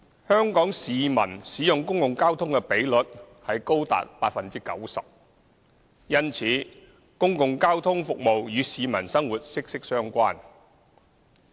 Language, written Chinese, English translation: Cantonese, 香港市民使用公共交通的比率高達 90%， 因此公共交通服務與市民生活息息相關。, Public transport accounts for 90 % of the transport mode used by Hong Kong citizens and public transport services are therefore closely related to the daily life of the public